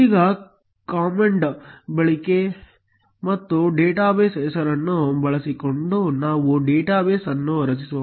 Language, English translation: Kannada, Now, let us create a database using the command use and the database name